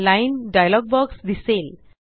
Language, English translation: Marathi, The Line dialog box is displayed